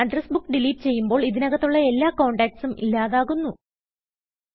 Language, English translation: Malayalam, Remember, when you delete an address book all the contacts associated with it are also deleted